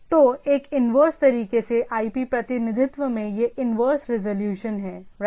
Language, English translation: Hindi, So, the IP representation in a inverse way this inverse resolution right